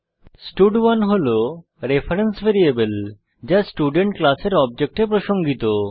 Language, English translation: Bengali, stud1 is a reference variable referring to one object of the Student class